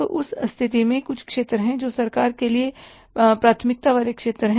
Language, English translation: Hindi, So, in that case there are some sectors which are the priority sectors for the government, government is going to support